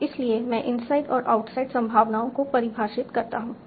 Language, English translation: Hindi, Now this is just the definition of inside and outside probabilities